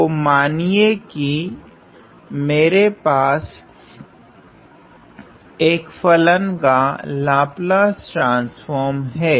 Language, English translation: Hindi, So, suppose my Laplace transform of a function